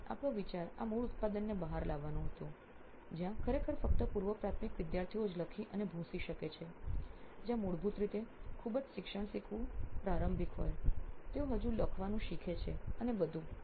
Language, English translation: Gujarati, So our idea was to bring out this basic product where we can actually write and erase only for a pre primary students where learning is a very initial at a very initial stage basically, they still learning to write and all